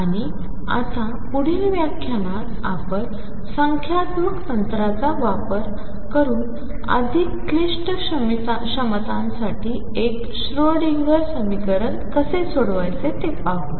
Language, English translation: Marathi, And in the next lecture now we are going to do how to solve the one d Schrodinger equation for more complicated potentials using numerical techniques